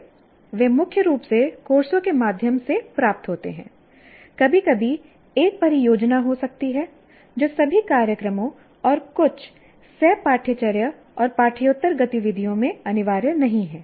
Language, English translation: Hindi, They are mainly attained through courses and sometimes there could be a project which is not compulsory in all programs and some co curricular and extra curricular activities